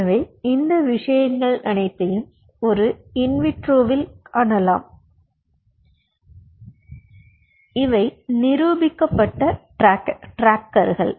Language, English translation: Tamil, so all these things can be seen in vitro and these are proven trackers